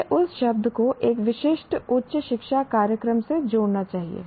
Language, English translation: Hindi, I should add that word from a specific higher education program